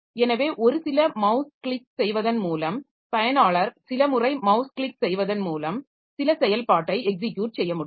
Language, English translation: Tamil, So the user just by clicking a few mouse a few times will be able to execute some operation